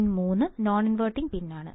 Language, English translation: Malayalam, Pin 3 is non inverting